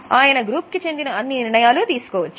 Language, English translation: Telugu, They are able to take all the decisions